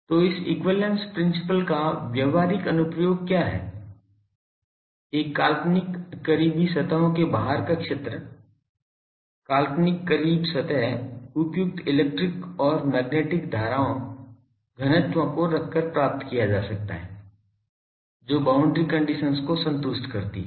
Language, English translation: Hindi, So, what is the practical application of this equivalence principle is, field outside an imaginary close surfaces, imaginary close surfaces are obtained by placing over the close surface suitable electric and magnetic currents, densities that satisfy boundary conditions